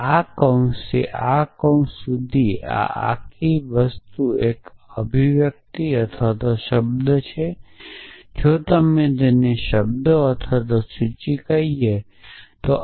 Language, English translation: Gujarati, So, this whole thing from this bracket to this bracket is one expression or term if you we just call it a term or a list